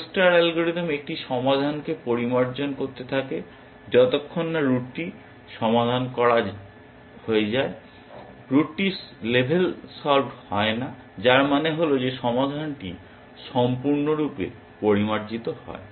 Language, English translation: Bengali, The AO star algorithm keeps refining a solution till the root gets solved, root gets level solved, which means that the solution is completely refined